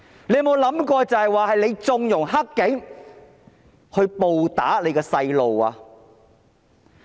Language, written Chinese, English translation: Cantonese, 你有沒有想過是你縱容"黑警"暴打你的孩子？, Has it ever occurred to you that it is you who condoned the dirty cops to brutally batter your children?